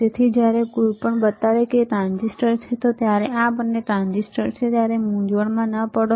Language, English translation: Gujarati, So, do not get confused when we when we when somebody shows you these are transistor, these transistors both are transistors